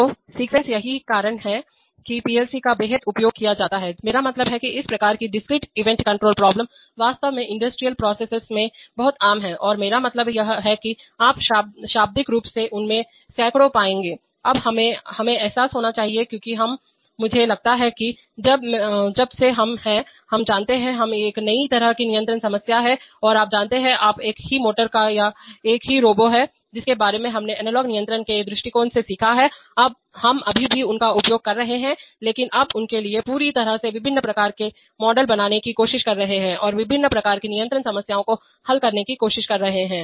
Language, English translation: Hindi, So sequence, that is why PLC's are used hugely in, I mean, this kind of discrete event control problems are very common in actually in industrial processes and I mean, you will find literally hundreds of them, now we must realize, since we are, I thought that, since we are, you know, this is a new kind of control problem and you know, we are the same motor or the same Robo about which we learnt from analog control point of view, we are still using them but now trying to construct completely different types of models for them and trying to solve different types of control problems